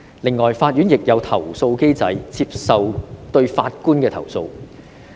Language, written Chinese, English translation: Cantonese, 此外，法院亦設有投訴機制，處理對法官的投訴。, Moreover the courts also have a complaint mechanism to handle complaints against judges